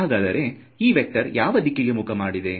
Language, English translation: Kannada, So, that is a vector which is pointing in which way